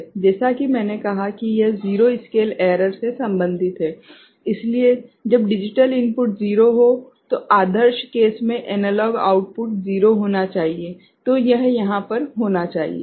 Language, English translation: Hindi, So, as I said this is related to zero scale error, so when the digital input is 0 ok, ideal case the analog output should be 0